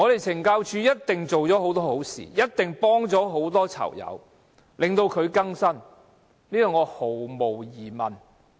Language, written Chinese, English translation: Cantonese, 懲教署一定做了很多好事，幫助了很多囚友更生，我對此毫無疑問。, CSD has definitely done many good deeds and helped many prisoners rehabilitate . We have no doubt about that